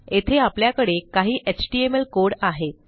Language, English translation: Marathi, And here I have got some html code